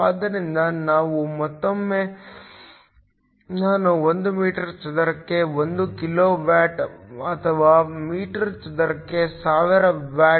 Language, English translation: Kannada, So, once again the illumination I is 1 kilo watt per meter square or 1000 watts per meter square